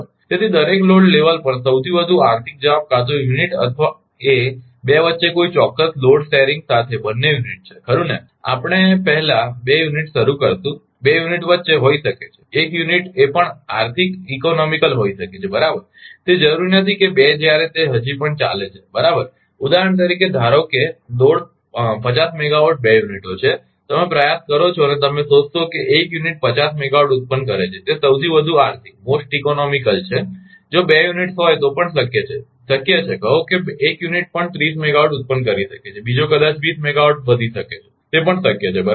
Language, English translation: Gujarati, So, at each load level the most economic answer may be to run either unit or both unit with a certain load sharing between the 2 right, first we will start 2 units may be between the 2 units may be 1 units will be economical also right, it is not necessarily the 2 when it still run right for example, suppose load is 50 megawatt the 2 units, you are tried and you find 1 unit generating 50 megawatt is most economical that also possible if 2 units are so, possible say 1 unit may be generating thirty megawatt another may be twenty megawatt increase right that is also possible